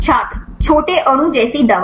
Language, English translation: Hindi, a drug like small molecule